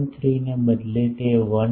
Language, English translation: Gujarati, 3 it is 1